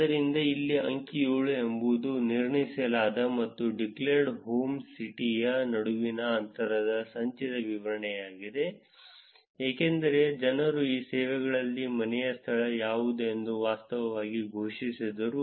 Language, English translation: Kannada, So, here figure 7 is cumulative distribution of distances between inferred and the declared home city, which is that because people actually declared that what the home location in these services also